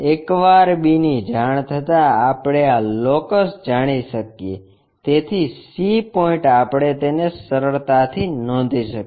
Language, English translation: Gujarati, Once b is known we know this locus, so c point we can easily note it down